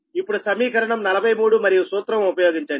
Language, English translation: Telugu, so that is equation forty three